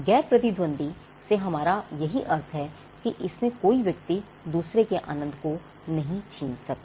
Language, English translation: Hindi, This is what we mean by non rivalrous used by 1 does not take away the enjoyment by another